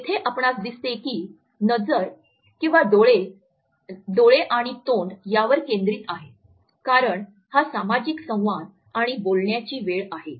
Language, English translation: Marathi, So, here you what find that the focuses on the eyes and the mouth because this is a time of social interaction and talks